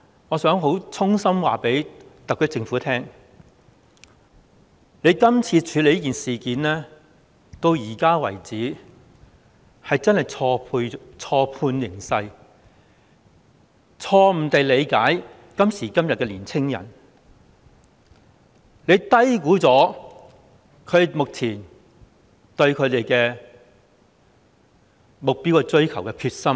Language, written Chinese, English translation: Cantonese, 我想衷心告訴特區政府，政府處理今次的事件，直到現在為止，真的是錯判形勢，錯誤地理解今時今日的年青人，低估了他們追求目標的決心。, Does it believe that really works? . I wish to sincerely advise the SAR Government that in its handling of the current incident so far it has really misjudged the situation misunderstood todays young people and underestimated their determination to pursue their goals